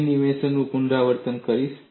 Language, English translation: Gujarati, I would repeat the animation